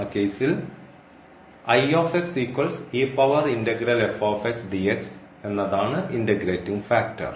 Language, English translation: Malayalam, So, in that case this is the integrating factor